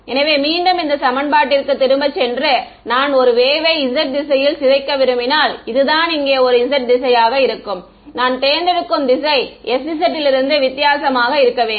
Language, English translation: Tamil, So, let us go back to this equation over here this was if I wanted to decay a wave in the z direction right this was the z direction over here I chose an s z to be different from 1 correct